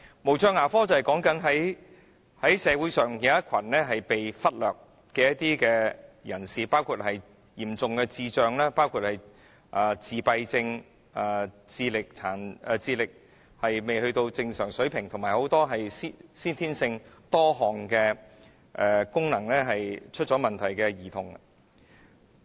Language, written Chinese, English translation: Cantonese, 無障牙科是關乎社會上一群被忽略的人，包括有嚴重智障、自閉症、智力未達正常水平，以及很多先天性多項功能出現問題的兒童。, Special care dentistry has to do with a neglected group of people in society including children with severe levels of intellectual disabilities autism intellectual ability below normal level and multiple congenital problems